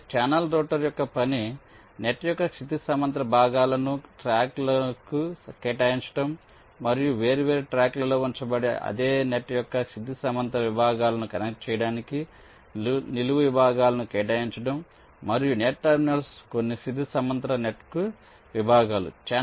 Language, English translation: Telugu, so the task of the channel router will be to assign the horizontal segments of net to tracks and assign vertical segments to connect the horizontal segments of the same net, which which maybe placed in different tracks, and the net terminals to some of the horizontal net segments